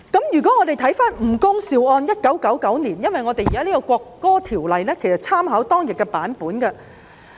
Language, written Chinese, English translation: Cantonese, 如果翻看1999年吳恭劭一案的判案書，其實《條例草案》參考了有關的內容。, If Members take a look at the judgment on the case of NG Kung - siu in 1999 they may find that the Bill has actually made reference to the judgment